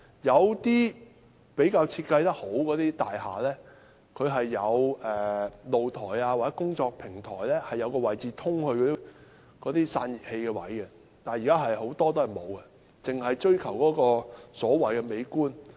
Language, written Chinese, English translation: Cantonese, 有些設計比較好的大廈，其單位的露台或工作平台上會有通道通往那些散熱器的位置，但現在很多大廈也沒有，只是追求所謂美觀。, In some buildings of better design there is access to the locations of those radiators on the balconies or utility platforms in the flats but now there is no such access in many buildings which only go after the so - called beautiful appearances